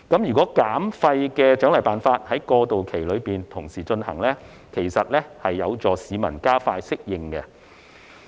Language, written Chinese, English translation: Cantonese, 如果在過渡期內同時推行減廢的獎勵辦法，其實是有助市民加快適應。, In fact the concurrent introduction of incentive measures for waste reduction during the transitional period will help the public to adapt more quickly